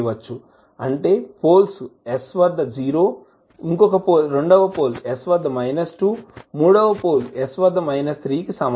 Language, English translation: Telugu, That is poles are at s is equal to 0, at s equal to minus 2, at s is equal to minus 3